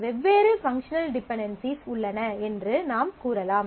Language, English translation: Tamil, So, we can say that there are different functional dependencies